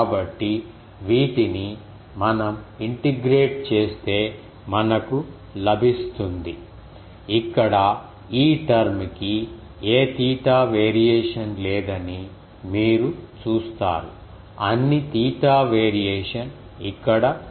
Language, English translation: Telugu, So, these if we integrate we will get um so, here you see this term is not having any theta variation all theta variation is here